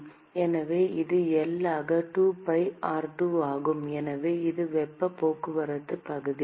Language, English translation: Tamil, So, this is 2pi r2 into L, so that is the heat transport area